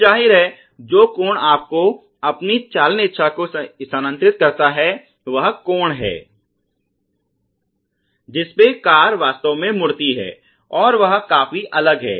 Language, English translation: Hindi, So obviously, the angle which you have to move your steering wish wish is the angle that the car really moves are quite different